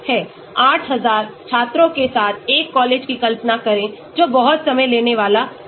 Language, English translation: Hindi, Imagine a college with 8000 students that will be very time consuming